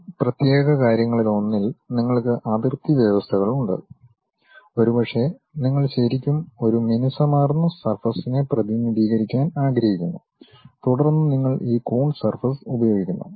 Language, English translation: Malayalam, You have boundary conditions on one of these particular things and maybe a surface you would like to really represent a smooth surface, then you employ this Coons surface